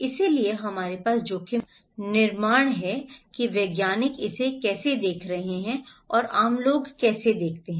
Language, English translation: Hindi, So, we have kind of construction of risk is how the scientists are looking at it and how the common people are looking